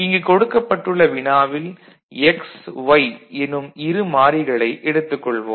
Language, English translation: Tamil, So, for a two variable problem, so say x y is there